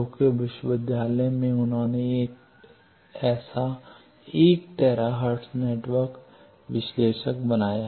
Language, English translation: Hindi, In Tokyo university they have made one such 1 tera hertz network analyzer